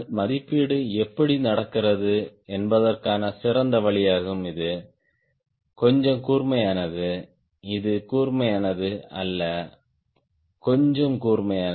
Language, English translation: Tamil, one is better way of how they evaluation happen: that you make little sharper, not this sharper, little sharper the moment